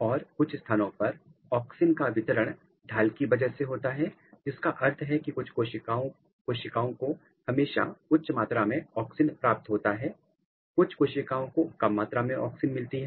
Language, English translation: Hindi, And, the distribution of auxins some places it makes gradient which means that the some cells they always get high amount of auxin, some cells they get low amount of auxin